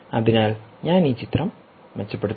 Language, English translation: Malayalam, so i will improve this picture